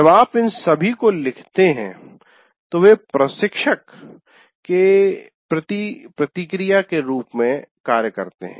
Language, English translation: Hindi, When you write all this, this feedback also acts as a feedback to the instructor